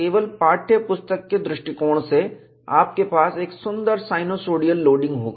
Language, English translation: Hindi, Only from the text book point of view, you will have a nice sinusoidal loading